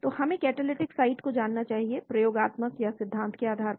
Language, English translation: Hindi, so we should know the catalytic site based on experimental or theory